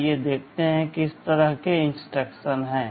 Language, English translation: Hindi, Let us see what kind of instructions are there